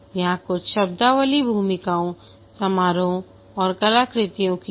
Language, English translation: Hindi, Here some of the terminologies, the roles, ceremonies and artifacts